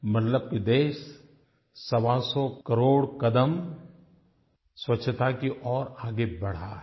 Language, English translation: Hindi, This means that the country has taken 125 crore steps in the direction of achieving cleanliness